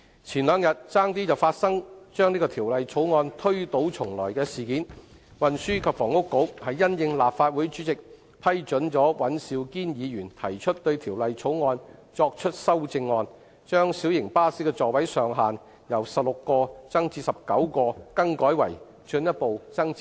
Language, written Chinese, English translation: Cantonese, 前兩天差點發生當局把《條例草案》推倒重來的事件。事緣是立法會主席批准尹兆堅議員就《條例草案》提出修正案，把小型巴士的座位上限由16個增至19個，更改為進一步增至20個。, Two days ago the authorities almost decided to scrap the Bill and start from scratch again for the reason that the President of the Legislative Council approved Mr Andrew WAN to propose an amendment to the Bill to further increase the maximum seating capacity of light buses from 16 to 20 instead of the proposed 19 seats